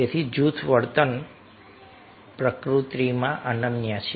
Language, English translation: Gujarati, so group behavior is unique in nature